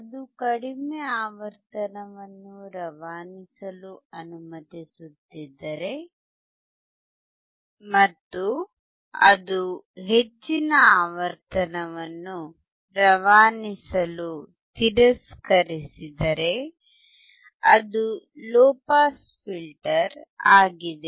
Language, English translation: Kannada, If it is allowing the low frequency to pass and it rejects high pass, then it is low pass filter